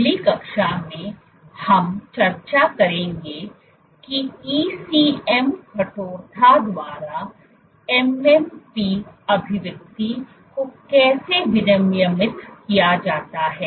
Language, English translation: Hindi, In the next class, we will discuss how MMP expression is regulated by ECM stiffness